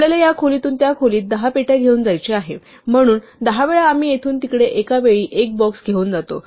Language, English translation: Marathi, We want to carry 10 boxes from this room to that room, so 10 times we carry one box at a time from here to there